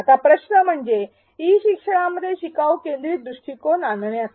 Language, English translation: Marathi, Now, the question is to bring in a learner centric approach in e learning